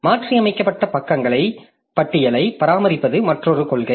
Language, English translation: Tamil, Then another policy is to maintain a list of modified pages